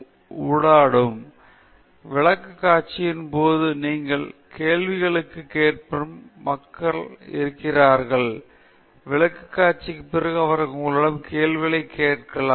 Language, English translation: Tamil, It’s typically very interactive; there are people who will ask you questions during the presentation, they may ask you questions after the presentation and so on